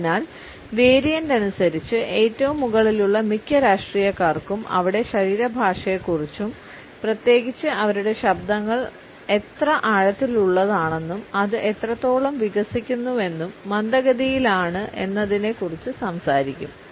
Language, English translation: Malayalam, So, by variant most politicians at the very top will have talk about there body language and especially their voice tone how deep their voices and how emarginated and slow it is